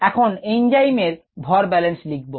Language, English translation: Bengali, now let us write a mass balance on the enzyme